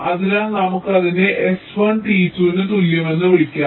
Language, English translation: Malayalam, so lets call it s one, t equal to two